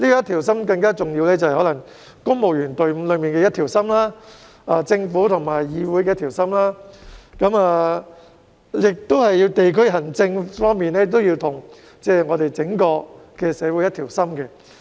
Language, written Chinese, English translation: Cantonese, 同樣重要的是，公務員隊伍上下一心，政府和議會上下一心，以及地區行政與整個社會上下一心。, What is equally important is the unity of the civil service the unity of the Government and the legislature and also the unity of district administration and the whole community